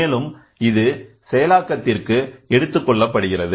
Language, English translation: Tamil, So, that is taken for further processing